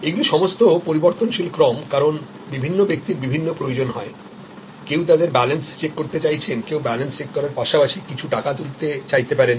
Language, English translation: Bengali, These are all variable sequence, because different people have different needs, somebody may be wanting to check their balance, somebody may want to check balance as well as draw some money